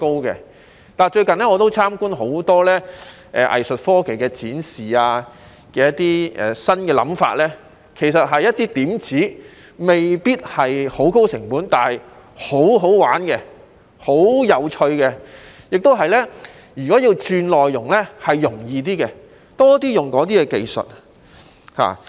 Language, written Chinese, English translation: Cantonese, 我最近參觀了很多藝術科技的展示，當中有些新想法其實只是一些點子，未必需要高成本，卻很好玩和有趣，如果要轉內容，亦會較容易，我希望可以多點使用這些技術。, I have recently seen a lot of arts technology demonstrations carrying new ideas which are actually just some small tactics . They may not be costly but they are full of fun and interesting and change of content will also be easier . I hope that such technologies will be used more often